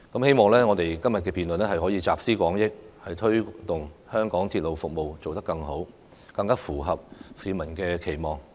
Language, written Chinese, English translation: Cantonese, 希望我們今天的辯論能夠集思廣益，推動香港鐵路服務做得更好，更符合市民的期望。, I hope that our debate today can draw on collective wisdom to help enhance the railway service in Hong Kong and bring it more in line with public expectations